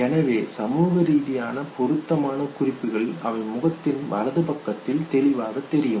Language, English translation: Tamil, So socially appropriate chews they are more apparent on the right side of the face